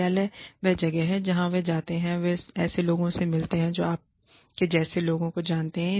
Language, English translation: Hindi, Office is the one place, where they go, they meet people, who, like minded people, you know